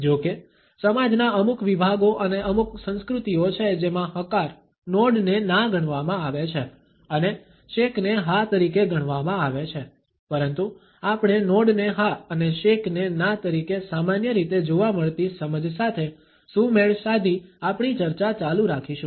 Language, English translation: Gujarati, However, there are certain segments of societies and certain cultures in which the nod is considered to be a no and a shake is considered to be a yes, but we would continue our discussion aligning with the commonly found understanding of the nod as yes and shake as a no